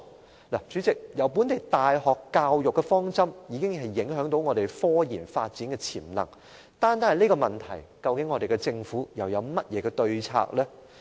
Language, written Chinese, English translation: Cantonese, 代理主席，本地大學的教育方針已對香港的科研發展潛能造成影響，而針對這個問題，香港政府又有甚麼對策呢？, Deputy President the education objective of local universities has taken a toll on the potential of development of scientific research in Hong Kong . What countermeasures does the Hong Kong Government have to tackle this situation?